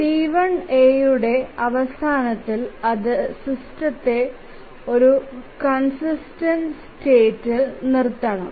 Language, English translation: Malayalam, So T1A, at the end of T1A it must leave the system with a consistent state